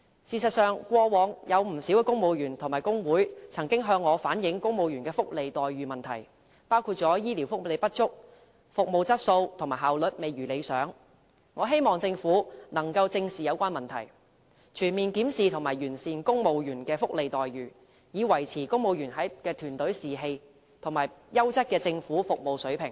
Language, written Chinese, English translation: Cantonese, 事實上，過往有不少公務員和工會曾向我反映公務員的福利待遇問題，包括醫療福利不足、服務質素和效率未如理想，我希望政府可以正視有關問題，全面檢視和完善公務員的福利待遇，以維持公務員的團隊士氣，以及優質的政府服務水平。, In fact concerning the welfare and remuneration of civil servants many civil servants and staff unions had reflected to us in the past the inadequacy unsatisfactory quality and inefficiency of the medical welfare provided . I hope the Government will face the problems squarely . It should conduct a comprehensive review of the welfare and remuneration of civil servants and make improvement in order to maintain the morale of the Civil Service and high quality government services